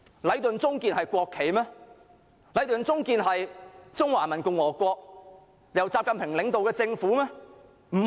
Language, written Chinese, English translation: Cantonese, "禮頓―中建聯營"是中華人民共和國由習近平領導的政府嗎？, Is Leighton a government of the Peoples Republic of China led by XI Jinping? . No